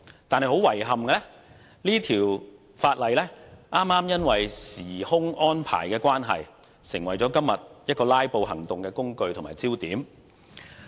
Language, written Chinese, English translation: Cantonese, 但是，很遺憾，這項《條例草案》因為時間安排的關係，成為今天"拉布"行動的工具和焦點。, However much to my regret due to scheduling arrangement the Bill becomes the tool and focus of filibustering today